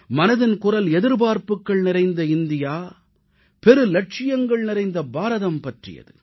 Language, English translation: Tamil, Mann Ki Baat addresses an aspirational India, an ambitious India